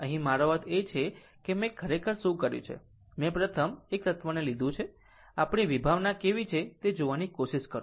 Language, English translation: Gujarati, Here, we have to I mean, what I have done actually, this first taken one single element at a time such that, we will try to see our concept how is it right